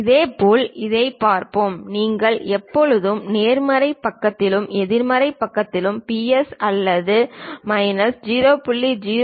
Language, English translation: Tamil, Similarly, let us look at this one its not necessary that you always have plus or minus 0